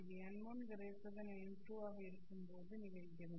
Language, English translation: Tamil, This happens only when n1 is greater than n2